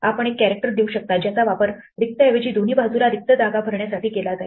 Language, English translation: Marathi, You can give a character which will be used to fill up the empty space on either side rather than a blank